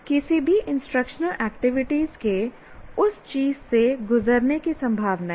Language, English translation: Hindi, Any instructional activity is likely to go through that